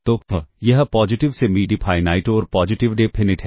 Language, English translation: Hindi, positive semi definite and positive definite matrices